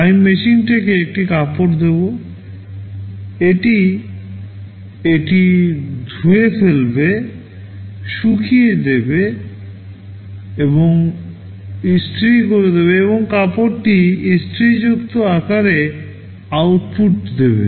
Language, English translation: Bengali, I give the machine a cloth, it will wash it, dry it, iron it, and output that cloth in the ironed form